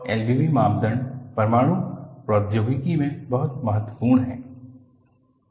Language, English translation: Hindi, And, L B B criterion is very important in Nuclear Technology